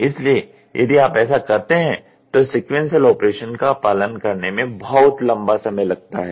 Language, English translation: Hindi, So, by this if you do, it takes a long period of time when we follow the sequential operation